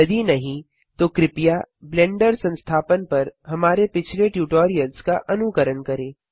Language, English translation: Hindi, If not please refer to our earlier tutorials on Installing Blender